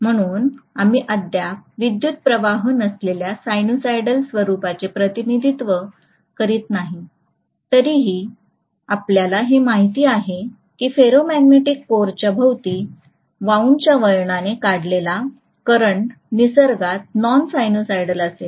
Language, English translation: Marathi, So we are not still representing the non sinusoidal nature of the current although we know that the current drawn by the winding which is wound around a ferromagnetic core will be non sinusoidal in nature